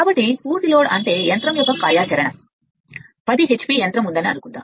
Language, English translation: Telugu, So, a full load means suppose machine operating say 10 h p machine is there